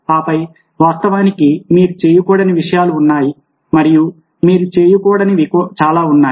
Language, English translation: Telugu, and then, of course, there are things which you should know not to do